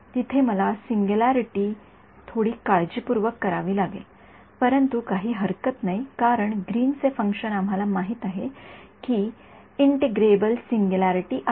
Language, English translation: Marathi, There I have to do the singularity little bit carefully, but it is not a problem because is Green’s function we know has an integrable singularity